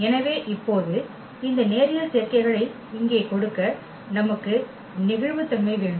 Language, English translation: Tamil, So now, we have the flexibility to give this linear combinations here